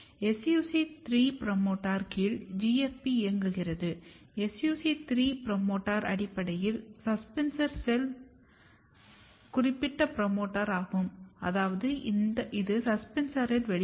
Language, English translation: Tamil, Similarly, if you look here, so here you are driving GFP under SUC3 promoter, SUC3 promoter is basically suspensor cell specific promoter, which means that you are expressing in the suspensor